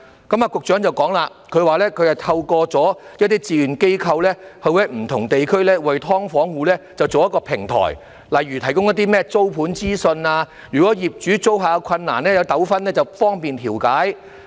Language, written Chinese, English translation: Cantonese, 局長說，他透過一些志願機構在不同地區設立平台，為"劏房戶"提供一些例如租盤方面的資訊，以及當業主與租客有困難或糾紛時亦方便進行調解。, The Secretary said that he has set up platforms in different districts through some voluntary organizations to provide information in some aspects eg . information on flats for rental for SDU households and to facilitate mediation in case there are any difficulties or disputes between landlords and tenants